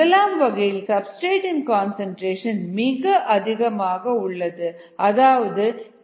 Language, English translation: Tamil, the first case is that the substrate concentration is much, much greater then the k s value